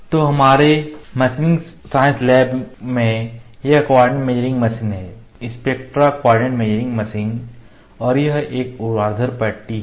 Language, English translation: Hindi, So, this is co ordinate measuring machine in our machining science lab spectra coordinate measuring machine and this is a vertical bar